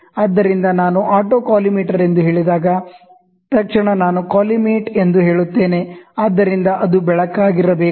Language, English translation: Kannada, So, when I say auto collimator, so moment I say colli, so then that has to be a light